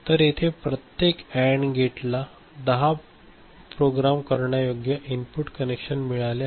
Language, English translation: Marathi, So, each of these AND gate here has got ten programmable input connections ok